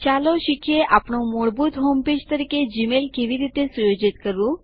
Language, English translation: Gujarati, Let us learn how to set Gmail as our default home page